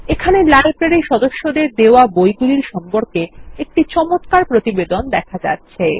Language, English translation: Bengali, And there is our nice report history on the Books issued to the Library members